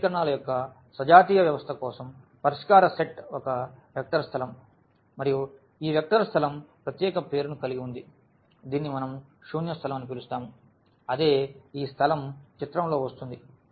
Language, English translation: Telugu, So, for the homogeneous system of equations the solution set is a vector space and this vector space has a special name which we call as null space that is what this space coming into the picture